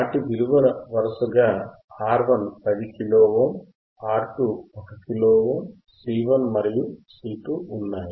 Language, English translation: Telugu, right R 1 is 10 Kilo Ohm, R 2 is 1 Kilo Ohm, C 1 and C 2 are 0